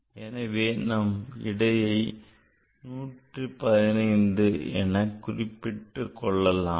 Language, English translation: Tamil, So, this answer whether I should write 1 1 5